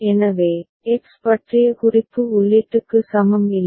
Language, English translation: Tamil, So, the reference to X is equal to the input is not there